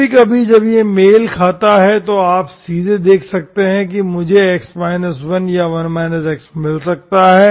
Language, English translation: Hindi, Sometimes when it is matching, directly you may see that, I may get x minus1 or 1 minus x, okay